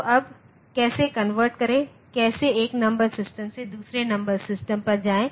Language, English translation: Hindi, So, now how to convert, how to get from 1 number system to another number system